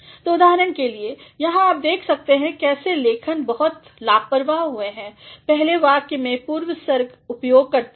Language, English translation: Hindi, So, for example, here you can see how the writer has been very careless while using prepositions look at the first sentence